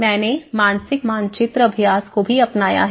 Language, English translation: Hindi, I have also adopted the mental map exercises